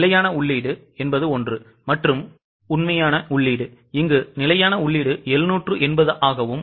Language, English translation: Tamil, So, standard input is 780, actual input is 750